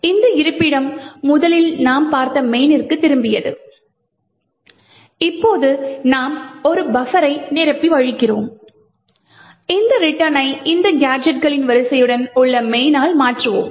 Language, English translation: Tamil, This location originally had the return to main which we had seen and now we overflow a buffer and replace this return to main with this sequence of gadgets